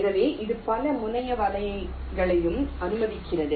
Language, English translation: Tamil, so this allows multi terminal nets also